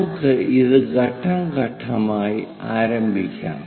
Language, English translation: Malayalam, Let us begin the step once again